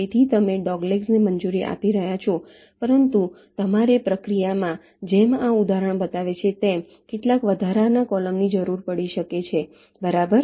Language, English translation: Gujarati, so you are allowing doglegs but you may required some additional columns in the process, as this example shows right